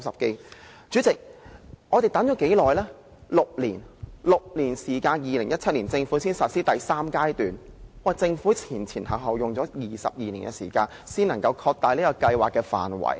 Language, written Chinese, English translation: Cantonese, 代理主席，我們等待了6年，政府在2017年才實施第三階段，前後花了22年的時間才擴大計劃的範圍。, Deputy President we have waited six years for the implementation of the third phase by the Government in 2017 and we have spent 22 years expanding the scope of MEELS